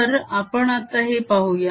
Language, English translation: Marathi, so let's look at this